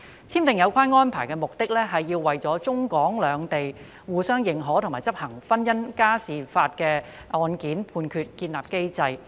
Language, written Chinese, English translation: Cantonese, 簽訂有關《安排》的目的，是要為中港兩地相互認可和執行婚姻家庭民事案件判決建立機制。, The aim of signing the Arrangement is to establish a mechanism for reciprocal recognition and enforcement of civil judgments in matrimonial and family matters between Hong Kong and the Mainland